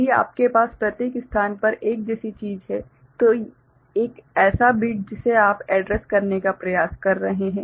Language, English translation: Hindi, If you are having in each location say one such thing, one such bit you are trying to address